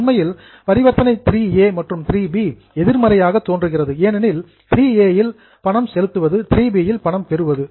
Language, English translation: Tamil, Actually, transaction 3A and 3B appears to be opposite because 3A is a payment, 3B is a receipt